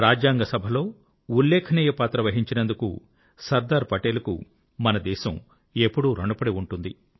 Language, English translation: Telugu, Our country will always be indebted to Sardar Patel for his steller role in the Constituent Assembly